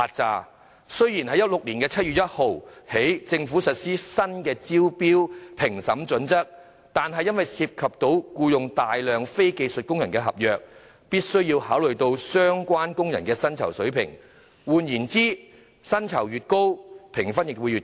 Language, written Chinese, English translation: Cantonese, 政府自2016年7月1日起實施新的招標評審準則，若合約涉及僱用大量非技術工人，便必須考慮相關工人的薪酬水平；換言之，薪酬越高，評分亦會越高。, Since 1 July 2016 the Government has implemented the new tender assessment criteria . If a contract involves hiring a large number of non - skilled workers consideration must be given to the wage level of the relevant workers . In other words the higher the wages the higher the scores